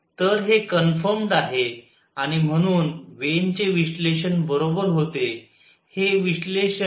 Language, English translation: Marathi, So, this is confirmed and therefore, Wien’s analysis was correct